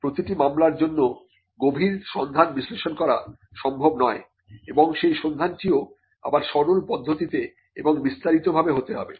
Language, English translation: Bengali, It is not possible to do an in depth search analysis for every case and search is again something that could be done in a simplistic way, and also in a very detailed way